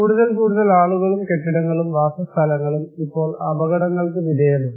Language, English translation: Malayalam, One is more and more people and buildings and settlements are now being exposed to hazards